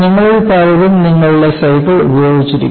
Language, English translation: Malayalam, Many of you will be using a cycle